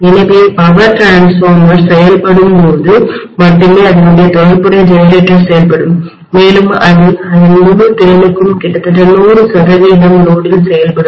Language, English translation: Tamil, So the power transformers will be functioning only when the corresponding generator is functioning and it will be almost functioning at 100 percent load to its fullest capacity